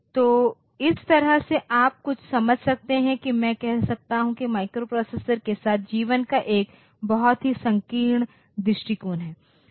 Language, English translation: Hindi, So, that way you can some sense I can say that the microprocessor has a very narrow view of life